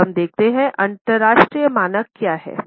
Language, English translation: Hindi, Now, let us look at what are the international standards